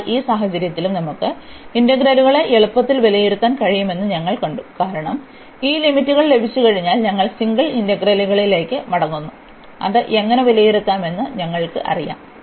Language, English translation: Malayalam, So, in this case also we have seen that we can easily evaluate the integrals, because once we have these limits we are going back to the single integrals, which we know how to evaluate